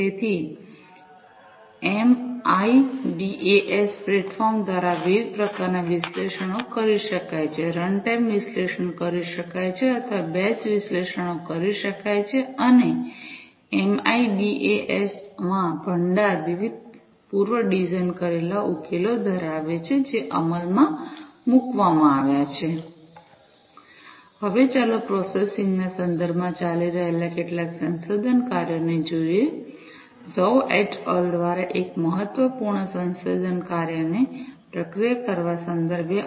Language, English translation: Gujarati, So, there are different types of analytics that can be performed through the MIDAS platform, runtime analytics could be performed or batch analytics could be performed and the repository in MIDAS consists of different predesigned solutions, that have been implemented Now, let us look at some ongoing research works with respect to processing, with respect to processing one of the important research works by Zhou et al